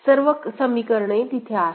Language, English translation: Marathi, So, all the equations are there